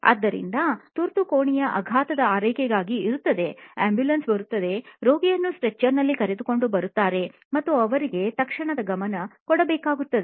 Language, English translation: Kannada, So, emergency room is the trauma care, you know the ambulance comes in and the patient is wheeled in on a stretcher and they need immediate attention